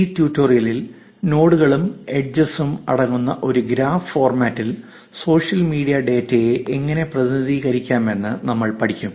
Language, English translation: Malayalam, In this tutorial, we will learn how to represent social media data in a graph format consisting of nodes and edges